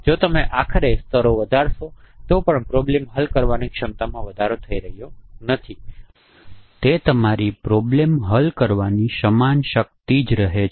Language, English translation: Gujarati, So even if you increase the layer, finally it is not increasing the capacity of problem solving